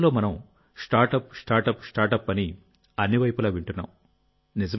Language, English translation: Telugu, These days, all we hear about from every corner is about Startup, Startup, Startup